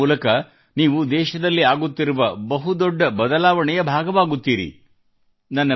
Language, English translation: Kannada, This way, you will become stakeholders in major reforms underway in the country